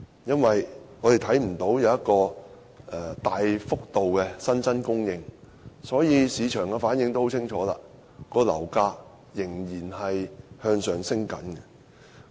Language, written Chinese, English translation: Cantonese, 我們看不見新住宅單位有大幅度增加，市場的反應也很清楚，樓價仍然繼續上升。, We fail to see any substantial increase in new residential flats . The market sentiment is discernible as property prices keep soaring